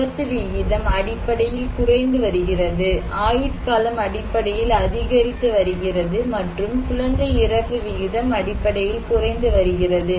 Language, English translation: Tamil, No, we are much safer, accident rate basically decreasing, life expectancy basically increasing and infant mortality rate basically decreasing